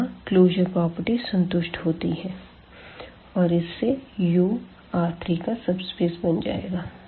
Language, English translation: Hindi, So, these closer properties are satisfied for this set U which is a subspace of now of R 3